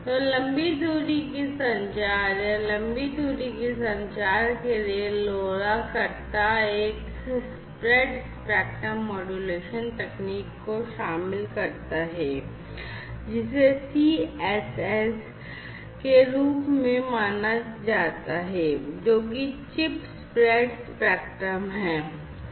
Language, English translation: Hindi, So, long range or communication for long range communication, LoRa incorporates a spread spectrum modulation technique, based on something known as the CSS, CSS spread spectrum technique the full form of which is chirp speed sorry Chip Spread Spectrum